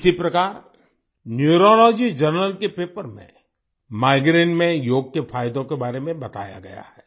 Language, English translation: Hindi, Similarly, in a Paper of Neurology Journal, in Migraine, the benefits of yoga have been explained